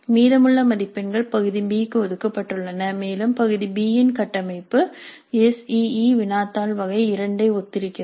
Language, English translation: Tamil, The remaining marks are related to part B and the structure of part B is quite similar to the SCE question paper type 2